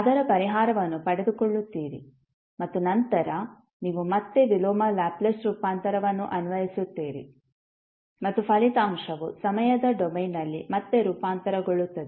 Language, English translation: Kannada, Obtain its solution and then you will apply again the inverse Laplace transform and the result will be transformed back in the time domain